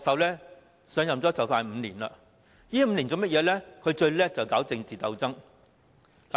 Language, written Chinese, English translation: Cantonese, 他上任接近5年，在這5年來，他最擅長搞政治鬥爭。, He has assumed office for nearly five years . During these five years he is most adept at stirring up political struggles